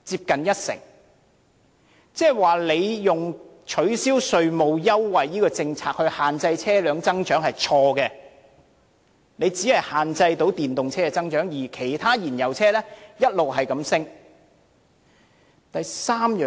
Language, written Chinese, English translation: Cantonese, 換言之，當局以取消稅務優惠這項政策限制車輛增長是錯的，因為只能限制電動車增長，而其他燃油車的銷量卻一直上升。, In other words the authorities are taking a wrong approach in restricting the growth of vehicles by abolishing the tax concessions as they can only curb the growth of electric vehicles but the sales of other fossil - fuel vehicles keep on rising